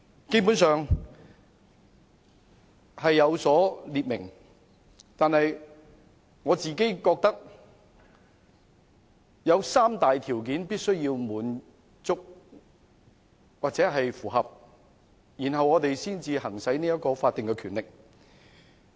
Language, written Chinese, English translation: Cantonese, 基本上是有列明的，但我覺得必須符合三大條件，立法會才可以行使這項法定權力。, Such circumstances have basically been specified but I think three conditions must be met before the Legislative Council can exercise its statutory power